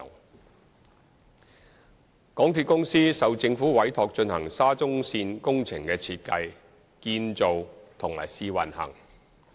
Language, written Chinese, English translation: Cantonese, 二港鐵公司受政府委託進行沙中線工程的設計、建造和試運行。, 2 MTRCL was entrusted by the Government to design construction and commissioning of SCL project